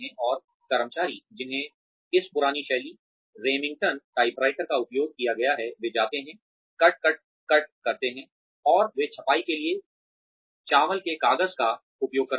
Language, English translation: Hindi, And employees, who have been used to this old style, Remington typewriters, that go, cut, cut, cut and they use rice paper for printing